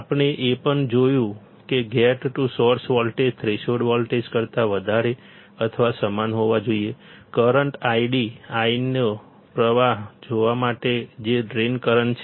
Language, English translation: Gujarati, We have also seen that the gate to source voltage should be greater than or equal to threshold voltage to see the flow of current I which is drain current